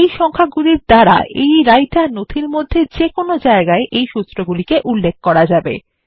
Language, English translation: Bengali, These will help to cross reference them anywhere within the Writer document